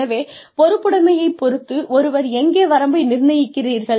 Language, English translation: Tamil, So, where does one draw the line, in terms of, responsibility